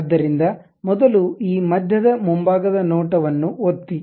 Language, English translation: Kannada, So, first click this middle one, front view